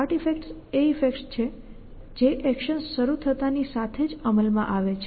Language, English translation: Gujarati, Start effects are the effect which comes into play as soon as actions begin